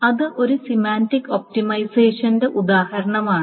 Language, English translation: Malayalam, So that is an example of a semantic optimization